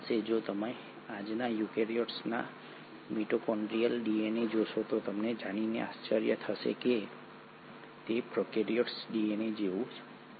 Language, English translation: Gujarati, If you were to look at the mitochondrial DNA of today’s eukaryote you will be surprised to know that it is very similar to prokaryotic DNA